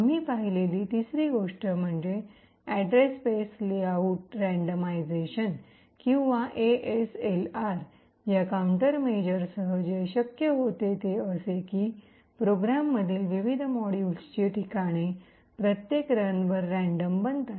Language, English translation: Marathi, The third thing that we also looked at was address space layout randomization or ASLR with this a countermeasure, what was possible was that the locations of the various modules within a particular program is randomized at each run